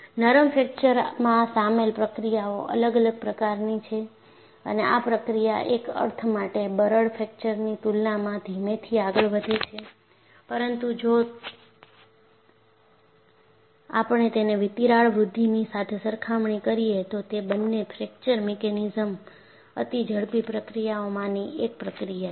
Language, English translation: Gujarati, The processes involved in ductile fracture are different and in a sense, it move slowly in comparison to brittle fracture, but if we compare it with crack growth both the fracture mechanisms are ultra fast processes